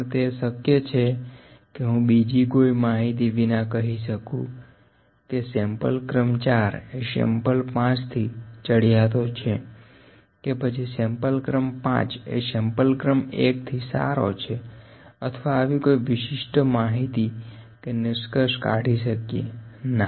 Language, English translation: Gujarati, But is it possible can I say that sample number 5 is better than sample number 4 without any other information, can I say that sample number 5 is better than sample number 1 or can I draw any this kind of information from this, No